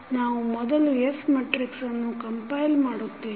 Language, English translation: Kannada, We will first compile the S matrix